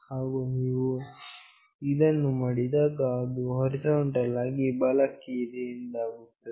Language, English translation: Kannada, And when you do this, it will be horizontally right